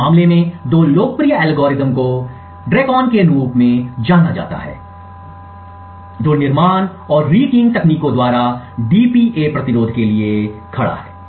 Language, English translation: Hindi, Two of the popular algorithms in this case is known as DRECON which stands for DPA resistance by construction and the rekeying techniques, thank you